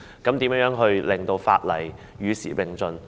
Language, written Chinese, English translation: Cantonese, 如何令法例與時並進？, How can the legislation be kept abreast of the times?